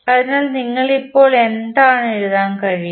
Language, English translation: Malayalam, So, what you can write now